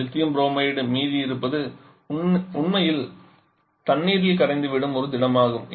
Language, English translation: Tamil, Lithium Bromide remains solid that just get dissolved in the water